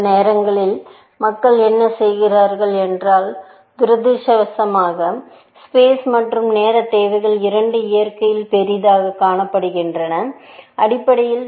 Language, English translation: Tamil, Now, sometimes what people do is now, unfortunately, both space and time requirements have been observed to be large in nature, essentially